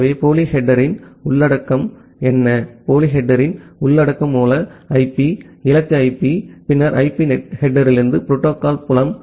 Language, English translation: Tamil, So, what is the content of the pseudo header, the content of the pseudo header is the source IP, the destination IP, then the protocol field from the IP header